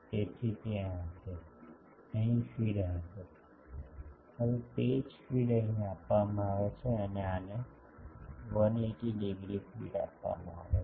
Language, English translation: Gujarati, So, there will be, sorry there will be feed here, now the same feed is given here and this one is given 180 degree feed